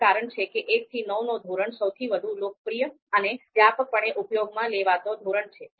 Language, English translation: Gujarati, So that is why you know you know 1 to 9 scale is the most popular scale, mostly used scale